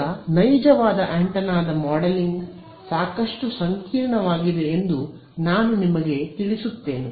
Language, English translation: Kannada, Now, let me on you that modeling realistic antenna is quite complicated